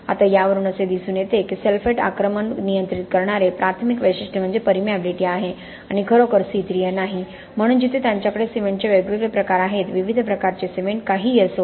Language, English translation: Marathi, Now this goes to show that the primary characteristic that is controlling sulphate attack is permeability and not really C3A, so here they have different forms of cement, different types of cement, whatever